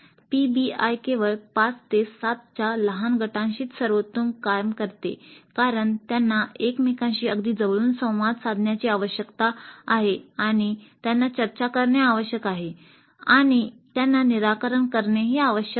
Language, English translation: Marathi, PBI works best only with small groups about 5 to 7 because they need to interact very closely with each other and they need to discuss and they need to refine the solution